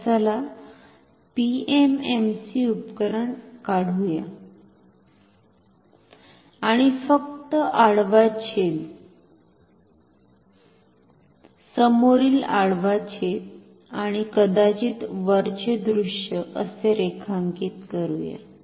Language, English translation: Marathi, So, let us draw the PMMC instrument and let us draw say only a cross section, frontal cross section, and maybe also the top view